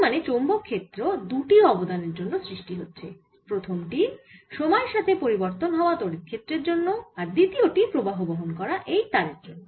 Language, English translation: Bengali, so there will be two contribution to magnetic field, first due to this time varying electric field and the second due to this current which is flowing through the wire